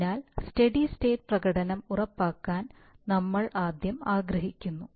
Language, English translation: Malayalam, So we would first like to ensure steady state performance